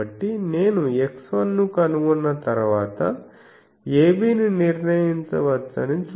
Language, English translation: Telugu, So, see that once I can find x 1, a b can be determined